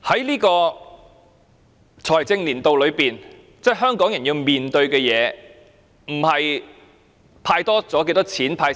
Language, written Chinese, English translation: Cantonese, 在本財政年度內，香港人要面對的不是"派錢"多了或少了。, In this financial year what Hong Kong people have to face is not the greater or the lesser amount of cash handed out to us